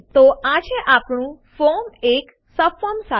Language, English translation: Gujarati, So there is our form with a subform